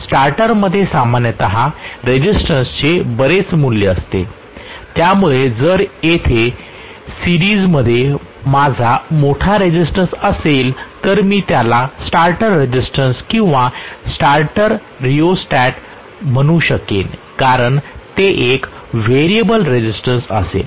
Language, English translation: Marathi, A starter will generally consist of a very large value of resistance so if I have a large resistance included in series here so I may call this as the starter starter resistance or starter rheostat because it will be a variable resistance